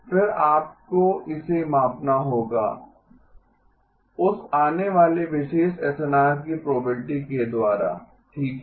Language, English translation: Hindi, You would then have to weight it by the probability of that particular SNR occurring okay